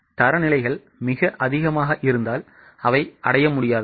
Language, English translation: Tamil, If the standards are too high, they become unachievable